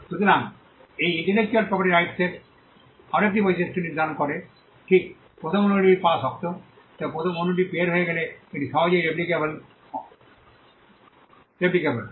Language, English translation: Bengali, So, this defines yet another trait of intellectual property right it is difficult to get the first copy out, but once the first copy is out it is easily replicable